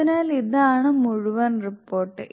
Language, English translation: Malayalam, So here the entire report is